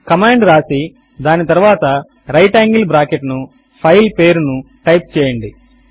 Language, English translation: Telugu, Just type the command followed by the right angle bracket and the file name